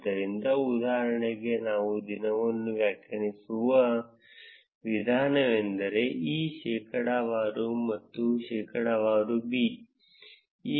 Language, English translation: Kannada, So, for instance, the way we can define day is percentage e percentage b